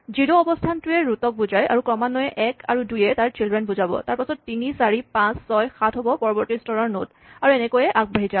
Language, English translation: Assamese, The position 0 represents a root then in order 1 and 2 represent the children, then 3, 4, 5, 6, 7 nodes are the next level and so on